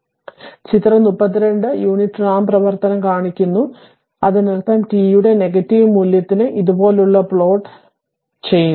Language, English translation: Malayalam, So, figure 32, shows the unit ramp function; that means, for a negative value of t, this is that which is plot like this, it is plotting like this